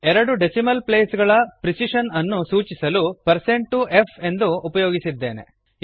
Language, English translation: Kannada, We have used %.2f to denote a precision of 2 decimal places